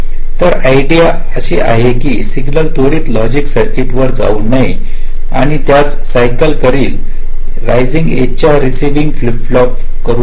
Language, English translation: Marathi, so the ideal is that signal should not go through the logic circuit too fast and get captured by the rising edge of the receiving flip flop of the same cycle